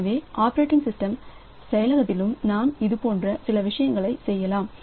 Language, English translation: Tamil, So, in operating system implementation also so we can do some such things as we will see